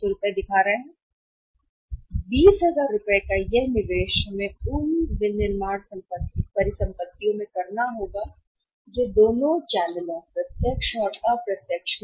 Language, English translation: Hindi, This investment of 20000 we have to make in the manufacturing assets that is going to remain the same in both the channels direct or indirect one